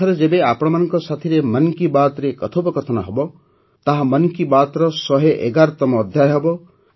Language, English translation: Odia, Next when we will interact with you in 'Mann Ki Baat', it will be the 111th episode of 'Mann Ki Baat'